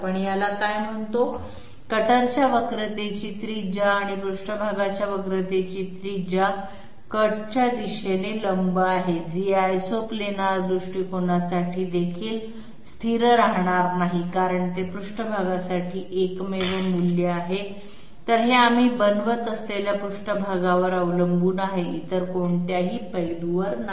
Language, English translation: Marathi, The what you call it the radius of curvature of the cutter and the radius of the curvature of the surface perpendicular to the direction of cut that is not going to be constant for even this Isoplanar approach because that is unique to the surface, it depends on the surface not on any other aspect that we are applying